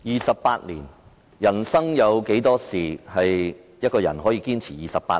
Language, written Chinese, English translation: Cantonese, 二十八年，人生有多少事情可以讓一個人堅持28年？, Twenty - eight years may I ask how many things one can persist for 28 years in his life?